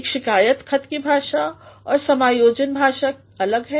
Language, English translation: Hindi, The language of a complaint letter and the language of an adjustment letter is different